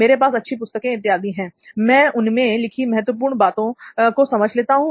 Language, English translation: Hindi, I have good books and all; I just go through them like important points